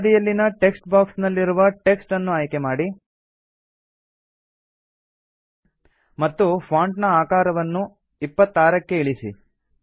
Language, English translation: Kannada, Select the text in the left side text box and reduce the font size to 26